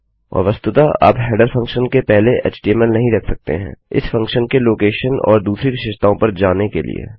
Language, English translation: Hindi, And you cant actually put html before a header function, going to location and other features of this function